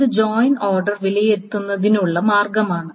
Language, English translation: Malayalam, So that's the way of evaluating the joint order